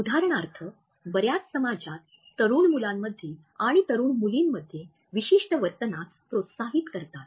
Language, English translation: Marathi, Many societies for example encourage certain behavior in young boys and in young girls